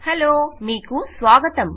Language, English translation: Telugu, Hello and welcome